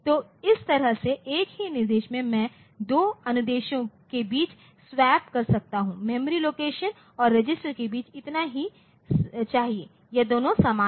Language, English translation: Hindi, So, this way in a single instruction I can swap between the two inst[ruction] to memory location and register provided these two are same